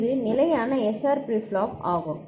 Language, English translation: Tamil, It is standard SR flip flop